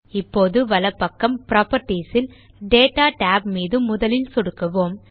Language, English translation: Tamil, Now in the properties on the right, let us click on the Data tab first